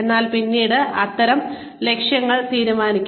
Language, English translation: Malayalam, But then, such goals can be decided